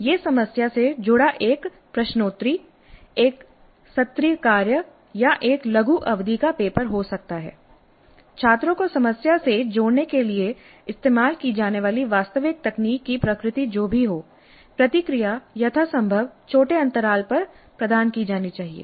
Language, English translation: Hindi, And this engage in the problem could be a quiz, an assignment or a small term paper, whatever be the nature of the actual technique use to have the students engage with the problem, feedback must be provided at as much small interval as possible